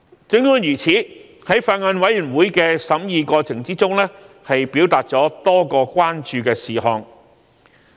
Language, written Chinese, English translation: Cantonese, 儘管如此，在法案委員會的審議過程中，議員表達多個關注的事項。, Notwithstanding during the process of deliberation by the Bills Committee members also raised various issues of concern